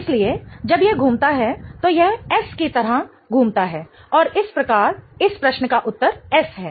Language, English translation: Hindi, So, when it rotates it is rotating like S and thus the answer to this question is S